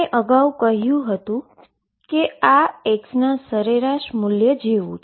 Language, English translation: Gujarati, And we said earlier that this is like the average value of x